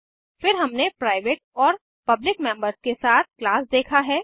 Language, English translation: Hindi, Then we have seen class with the private and public members